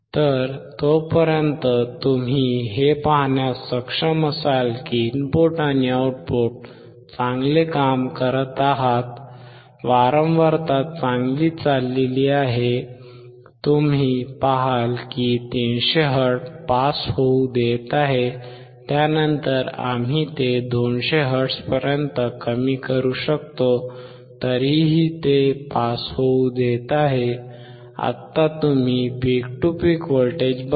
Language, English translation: Marathi, So, you until that you will be able to see that the input and output are working well, the frequency is going well, you see that 300 hertz is allowing to pass, then we can reduce it to 200 hertz is still allowing to pass, now you see the peak to peak voltage